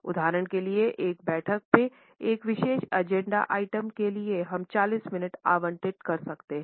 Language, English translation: Hindi, For example, in a meeting for a particular agenda item we might have allocated 40 minutes